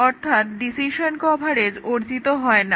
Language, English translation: Bengali, So, decision coverage is not achieved